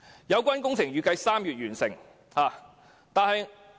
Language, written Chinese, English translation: Cantonese, 有關工程預計在3月完成。, The works are expected to be completed in March